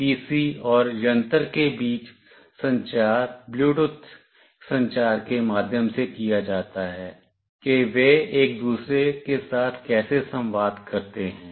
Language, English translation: Hindi, The communication between the PC and the device is done through Bluetooth communication that is how they communicate with each other